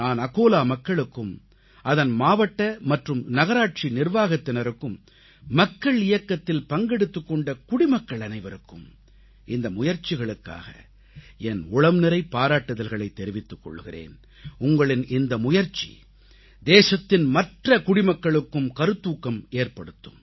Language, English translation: Tamil, I congratulate the people of Akola, the district and the municipal corporation's administration, all the citizens who were associated with this mass movement, I laud your efforts which are not only very much appreciated but this will inspire the other citizens of the country